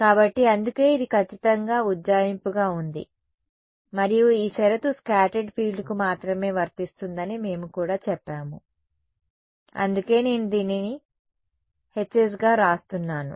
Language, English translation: Telugu, So, that is why it was in exact hence the approximation and we are also said that this condition applies only to the scattered field not the total field that is why I am writing this as H s